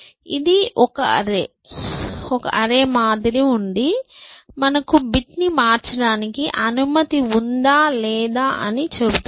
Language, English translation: Telugu, This is simply like a counter, which tells you whether you are allowed to change that bit or not